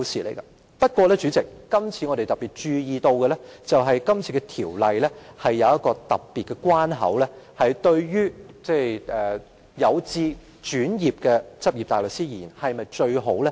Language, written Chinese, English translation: Cantonese, 可是，代理主席，我們注意到《修訂規則》增設了特別的關口，這對於有志轉業的執業大律師是否最好的安排？, However Deputy President we notice that the Amendment Rules has set an additional requirement . Is this the best arrangement for practising barristers who wish to become solicitors?